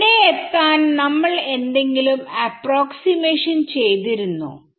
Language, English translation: Malayalam, Did we do any approximations to arrive at this